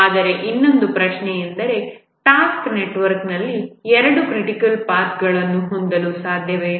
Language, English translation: Kannada, But the other question, is it possible to have two critical paths in a task network